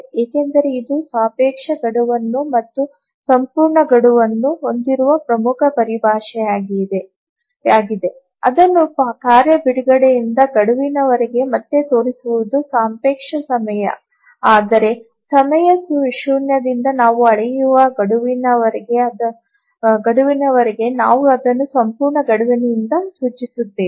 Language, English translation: Kannada, So, here because this is important terminology, the relative deadline and the absolute deadline, just showing it again from the task release to the deadline is the relative time, whereas from time zero to the deadline we measure it, we indicated by the absolute deadline